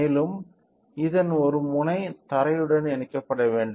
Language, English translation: Tamil, And, one end of this should be connected to the ground